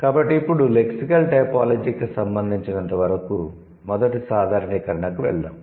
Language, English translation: Telugu, So, now let's go to the first generalization as far as lexical typology is concerned